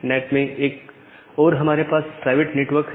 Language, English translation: Hindi, So, in one site of the NAT, we have a private network